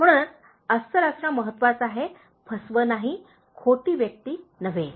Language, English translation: Marathi, So, it is important to be genuine and not fraudulent, not a fake person